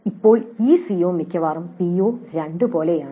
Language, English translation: Malayalam, Now this COO is almost like PO2